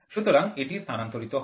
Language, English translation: Bengali, So, it is transmitted